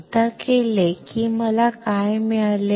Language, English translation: Marathi, Once I do that what I got